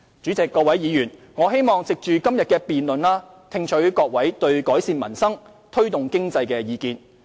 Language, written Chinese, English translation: Cantonese, 主席、各位議員，我希望藉着今天的辯論聽取各位對改善民生，推動經濟的意見。, President and Honourable Members I would like to take the opportunity of the debate today to listen to Members views on enhancing peoples livelihood and promoting economic growth